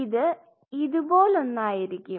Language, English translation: Malayalam, So, it will be a something like this